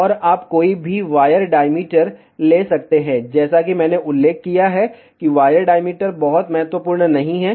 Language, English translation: Hindi, And you can take any wire diameter, as I mentioned wire diameter is not very important